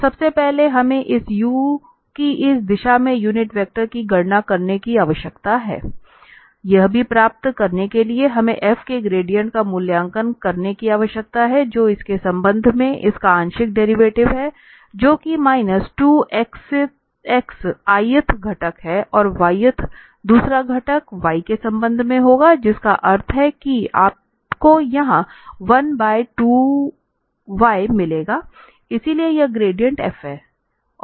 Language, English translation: Hindi, So first, we need to compute the unit vector in this direction of this u to get this also we need to evaluate the gradient of f which is just the partial derivative of this with respect to it that is minus 2 x ith component and the yth the second component will be with respect to y that means you will get here 1 by 2 y so that is the gradient f